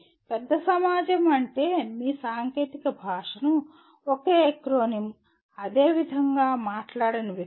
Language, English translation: Telugu, Society at large would mean people who do not speak your technical language in the same acronym, same way